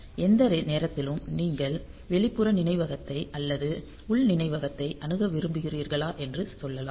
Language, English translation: Tamil, So, you can at any point of time you can say whether you want to access external memory or internal memory